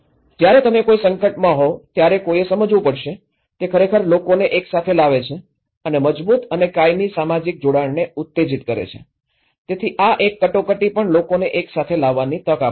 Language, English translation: Gujarati, One has to understand, when you are in a crisis, it actually brings people together and stimulates stronger and lasting social connectedness so, this is a crisis also gives an opportunity to bring people together